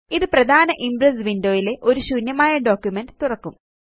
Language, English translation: Malayalam, This will open an empty presentation in the main Impress window